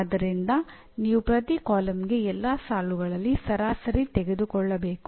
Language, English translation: Kannada, So you have to take the average over across all the rows for each column